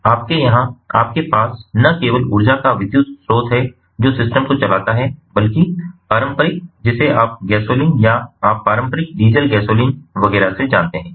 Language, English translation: Hindi, so you, here, you have not only electric source of energy that drives the system, but also the traditional, you know, gasoline or ah, ah, you know, ah, ah, traditional, ah, diesel, gasoline and so on